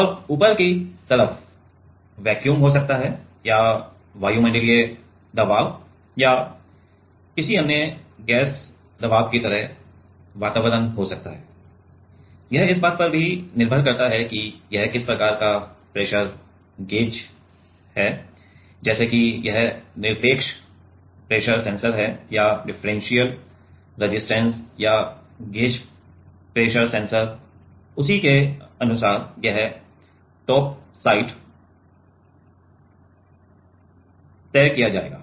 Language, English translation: Hindi, And, the top side is can be vacuum or can be atmosphere at like atmospheric pressure or some other gas pressure also depending on what kind of pressure gauge it is; like whether it is absolute pressure sensor or differential resistance or gauge pressure sensor accordingly this top side will be decided